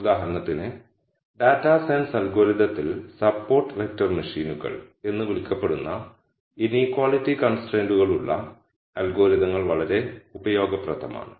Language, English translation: Malayalam, For example, the algorithms for inequality can with inequality constraints are very useful in data science algorithm that is called support vector machines and so on